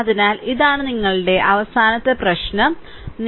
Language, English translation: Malayalam, So, this is your what you call that your last problem 10